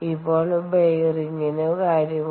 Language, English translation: Malayalam, now what about bearing